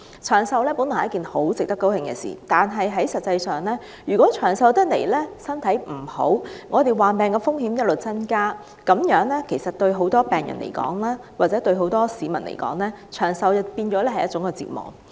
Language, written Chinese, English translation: Cantonese, 長壽本來是一件很值得高興的事情，但如果長壽的人身體欠佳，患病風險不斷上升，那麼對很多病人或市民而言，長壽便變成一種折磨。, At first thought longevity is a very great blessing but if people who enjoy longevity are in failing health and facing an increasing risk of ill health longevity will become a torture for many of them